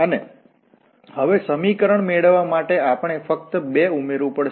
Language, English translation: Gujarati, And now to get the equation we have to just add the 2